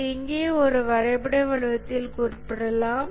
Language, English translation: Tamil, Just represented this in a diagrammatic form here